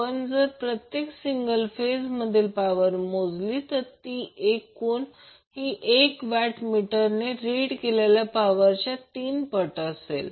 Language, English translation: Marathi, So if we measure power for one single phase the total power will be three times of the reading of 1 watt meter